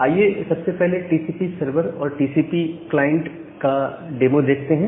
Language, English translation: Hindi, So, first let us look into the demo of demo about the TCP server and a TCP client